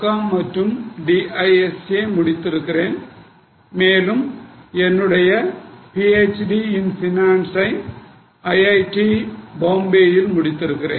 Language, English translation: Tamil, Then I have done MCOM, DISA and I have done PhD in finance from IIT Bombay